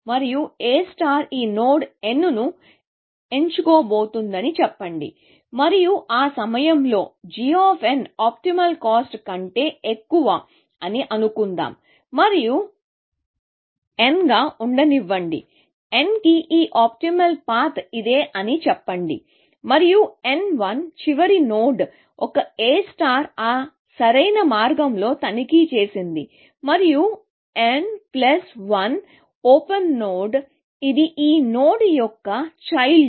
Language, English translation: Telugu, And let us say that A star is about to pick this node n, and let us assume that at point, g of n is more than the optimal cost, and let n l be the; so, this optimal path to n, let us say it is this, and n l is the last node, A star has inspected on that optimal path, and n l plus one is the node which is on open, which is child of this node